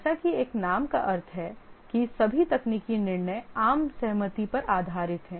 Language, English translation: Hindi, Here as the name implies, all technical decisions are based on consensus